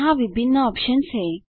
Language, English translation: Hindi, There are various options here